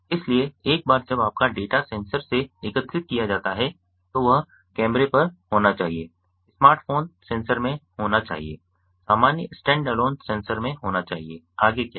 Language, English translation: Hindi, so once your data is collected from the sensors be at the camera, be at the smartphone sensors, be at normal stand alone sensors what next